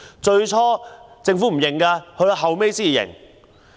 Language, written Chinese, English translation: Cantonese, 最初政府不承認，後來才承認。, At first the Government refused to admit but admitted subsequently